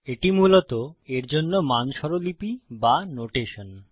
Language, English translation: Bengali, Thats basically the standard notation for it